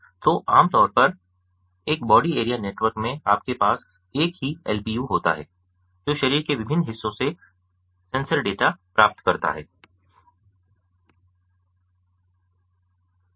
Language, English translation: Hindi, so typically in a body area network, you have a single lpu which receives the sensor data from the different parts of the body